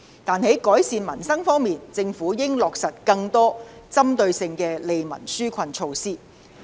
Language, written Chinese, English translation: Cantonese, 但是，在改善民生方面，政府應落實更多具針對性的利民紓困措施。, However when it comes to improving peoples livelihood I think the Government should implement more targeted relief measures